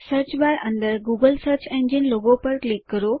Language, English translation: Gujarati, Click on the search engine logo within the Search bar again